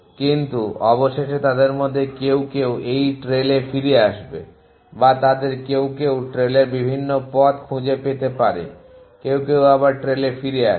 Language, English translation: Bengali, But eventually some of them will come back to this trail or some of them may find different pass of the trail some make come back to the trail